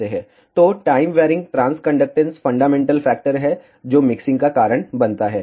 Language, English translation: Hindi, So, the time varying transconductance is the basic factor that causes the mixing